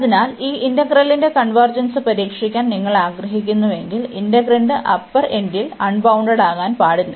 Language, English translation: Malayalam, So, if you want to test the convergence of this integral, then we should not first that the integrand is unbounded at the upper end